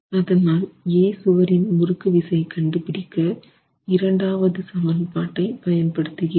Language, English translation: Tamil, And therefore I use the second expression in estimating the torsional shear for wall A